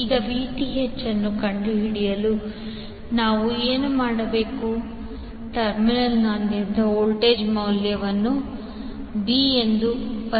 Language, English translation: Kannada, Now to find the Vth, what we will do will find the value of voltage across the terminal a b